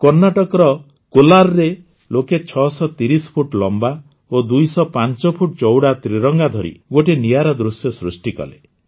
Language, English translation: Odia, In Kolar, Karnataka, people presented a unique sight by holding the tricolor that was 630 feet long and 205 feet wide